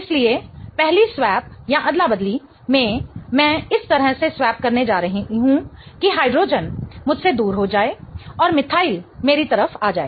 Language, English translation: Hindi, So, in the first swap I am going to swap such that hydrogen goes away from me and methyl comes towards me